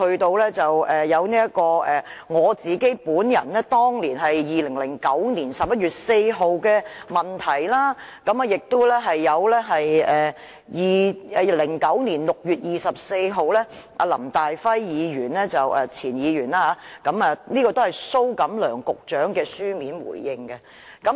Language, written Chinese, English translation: Cantonese, 接着，我在2009年11月4日提出了質詢，還有前議員林大輝在2009年6月24日提出了書面質詢，是由蘇錦樑局長答覆的。, On 4 November 2009 I raised a related question and on 24 June 2009 Mr LAM Tai - fai an ex - Member also raised a written question and it was answered by Secretary Gregory SO